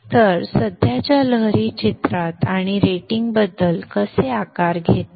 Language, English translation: Marathi, So this is how the current wave shapes come into picture and about the rating